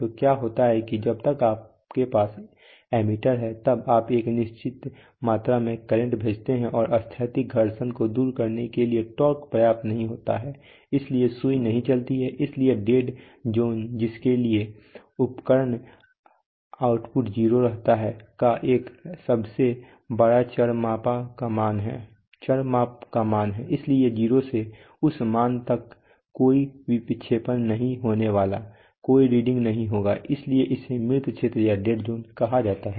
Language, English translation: Hindi, So what happens is that till say if you have ammeter then till you send a certain amount of current the torque is not enough to overcome static friction, so the so the needle does not move so it is a, so dead zone is a largest value of the measured variable for which the instrument output stays 0, so from 0 to that value there is going to be no deflection no reading nothing, so that is called a dead zone